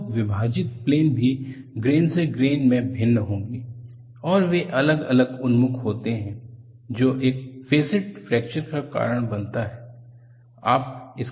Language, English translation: Hindi, So, the splitting planes also will differ from grain to grain, and they are differently oriented which causes faceted fracture